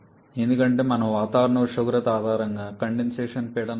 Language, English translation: Telugu, Because we select the condensation pressure based upon the atmospheric temperature